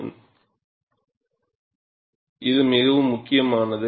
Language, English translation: Tamil, See, this is very important